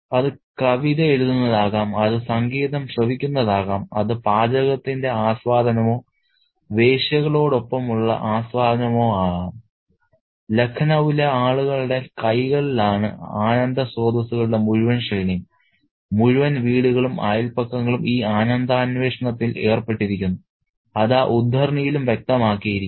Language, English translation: Malayalam, It could be writing poetry, it could be listening to music, it could be, you know, enjoyment of cuisine or the prostitutes, a whole range of pleasure sources are at the hands of the people of Lucknow and entire homes and the neighbourhoods are involved in this pleasure pursuit